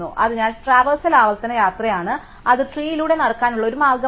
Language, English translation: Malayalam, So, in order traversal is recursive traversal it is a way of walking through the tree